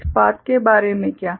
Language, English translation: Hindi, What about this path